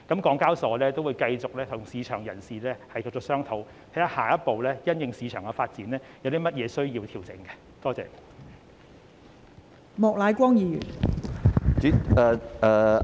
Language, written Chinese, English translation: Cantonese, 港交所會繼續與市場人士商討，因應市場發展，檢視下一步有甚麼需要作出調整。, HKEx will continue to hold discussion with market practitioners and review what adjustments will be required as the next step in the light of the development of the market